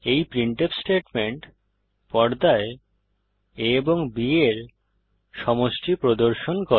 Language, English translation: Bengali, This printf statement displays the sum of a and b on the screen